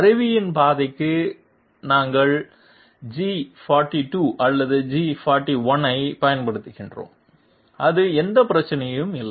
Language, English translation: Tamil, For the path of the tool we are employing G42 or G41 that is no problem